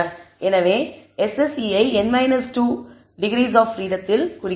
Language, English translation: Tamil, So, we are dividing the SSE by n minus 2 the number of degrees of freedom